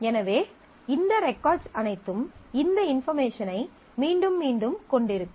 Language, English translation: Tamil, So, all of these records will have this information repeated